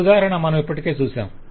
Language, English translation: Telugu, so this example we have already seen